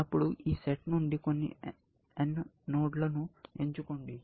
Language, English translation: Telugu, Then, I say, pick some node n from this set